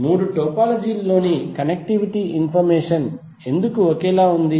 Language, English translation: Telugu, Why because the connectivity information in all the three topologies are same